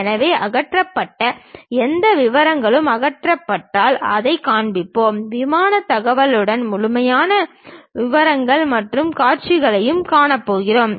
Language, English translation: Tamil, So, any hatched details after removing, we will show it; the complete details with the plane information we show it in other view